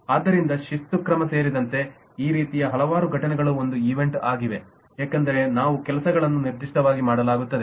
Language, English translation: Kannada, so several these kinds of events, including disciplinary action, is an event because certain things specifically is done